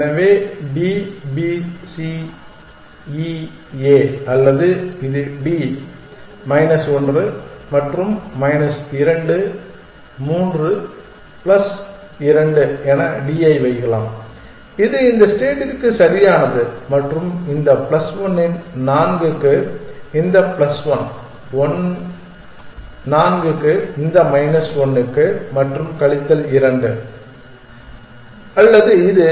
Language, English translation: Tamil, So, D, B, C, E, A or it can put D on A which is B minus 1 and minus 2, 3 plus 2 is that correct for this state plus 3 for this plus one 4 for this minus 1 for this and minus 2 or this